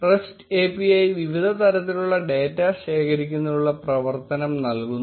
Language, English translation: Malayalam, The rest API provides functionality to collect various kinds of data